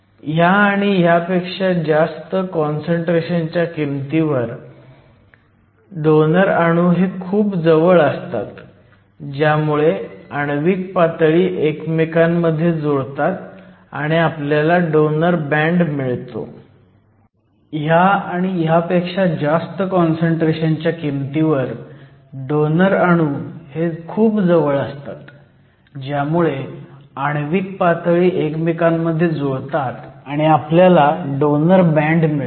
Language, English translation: Marathi, So, At this concentration and at higher values of concentration your donor atoms are essentially too close, so that the atomic levels mingle and we have a donor band